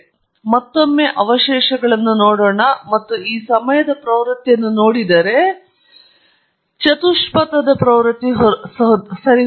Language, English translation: Kannada, So, once again let’s look at the residuals and see if this time the trend the quadratic trend has vanished right